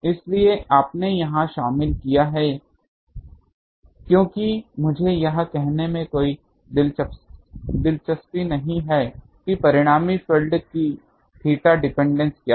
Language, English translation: Hindi, So, you have included here because I am not interested to say how what is that theta dependency of the resultant field